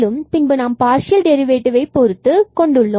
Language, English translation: Tamil, Similarly, we can get the first order derivative with respect to y